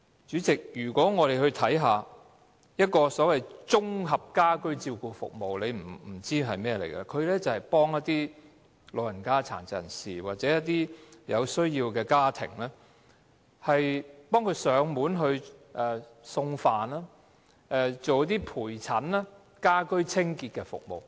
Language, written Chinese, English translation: Cantonese, 主席，我們且看看綜合家居照顧服務——你或許不知這是甚麼——這項服務是協助一些老人家、殘疾人士，或是一些有需要的家庭，為他們提供上門送飯、陪診、家居清潔等服務。, Chairman let us look at the Integrated Home Care Services―you may not know what it is . Under these services the elderly and persons with disabilities as well as needy families are provided with such services as meal delivery escort and household cleaning and so on